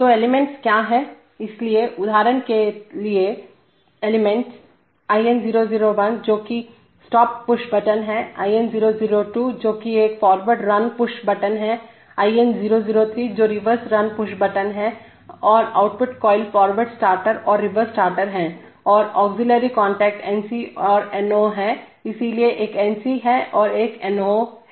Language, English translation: Hindi, So what are the elements, so the elements of the example are the IN001 which is the stop push button, IN002 which is a forward run push button, IN003 which is the reverse run push button, and the output coils are forward starter and reverse starter and the auxiliary contact NC and NO also corresponding to the piece, so there were NC, there is one NC and there is one NO